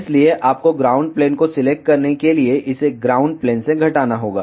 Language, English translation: Hindi, So, you need to subtract this from the ground plane to select ground plane